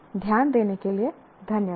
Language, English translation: Hindi, And thank you very much for your attention